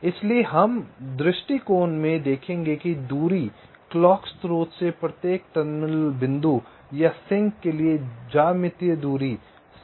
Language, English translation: Hindi, so in this approach we shall see that the distance, the geometric distance, from the clock source to each of the terminal points or sling sinks is guaranteed to be the same